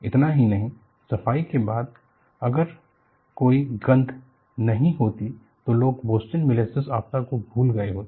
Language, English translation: Hindi, Not only this, after cleaning if there is no smell, people would have forgotten Boston molasses disaster